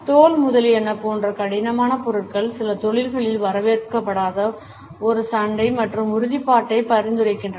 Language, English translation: Tamil, Hard materials like leather etcetera suggest a belligerence and assertiveness which is not welcome in certain professions